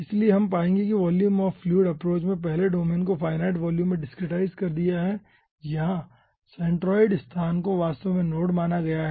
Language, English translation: Hindi, so we will be finding out that volume of fluid approach first discretized the domain into finite volumes where the centroid location is actually considered as the node